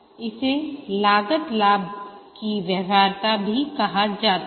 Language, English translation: Hindi, This is also called as the cost benefit feasibility